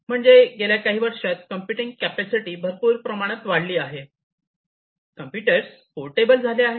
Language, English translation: Marathi, So, this computing capacity has increased and these computers have also became become portable